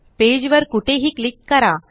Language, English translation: Marathi, Click anywhere on the page